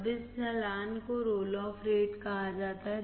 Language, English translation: Hindi, Now, this slope right is called roll off rate